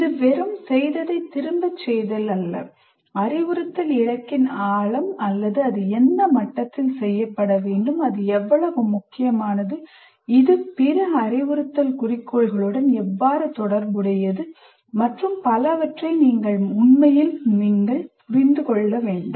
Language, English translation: Tamil, He must really understand the depth of the instruction goal or the at what level it has to be done, how important it is, how it is related to other instructional goals and so on